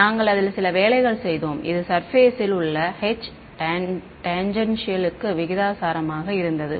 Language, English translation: Tamil, We had worked it out; it was proportional to the H tangential on the surface ok